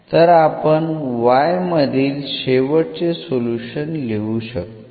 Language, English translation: Marathi, So, we can write down final solution again in terms of y